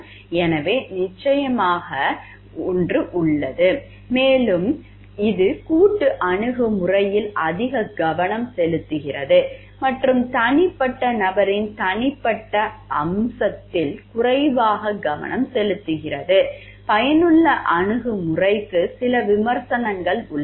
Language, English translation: Tamil, So, there is certain and it focuses more on collectivist approach and less on the individual aspect of the person individual, there is certain criticism of utilitarian approach